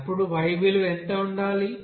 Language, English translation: Telugu, Then what should be the y value